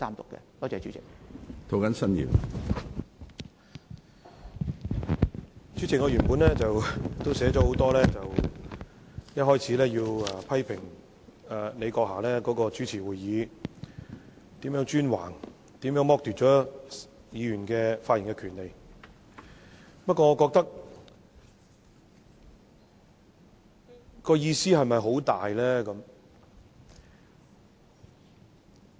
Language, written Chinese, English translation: Cantonese, 主席，我的發言稿原本寫了很多說話，一開始要批評你閣下主持會議是如何專橫，如何剝奪了議員的發言權利，不過，意義是否很大呢？, President I have written a lot in my original speech to criticize in the first place how imperious you are when presiding over the meetings and how you have deprived Members of their right to speak . But is it very meaningful to criticize you now?